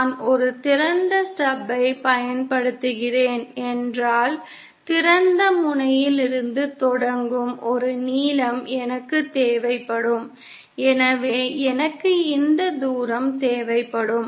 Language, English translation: Tamil, If I am using an open stub then I would need a length of starting from the open end so then I would need this distance